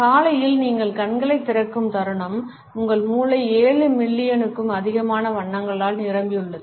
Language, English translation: Tamil, Moment you open your eyes in the morning, your brain is flooded with over seven million colors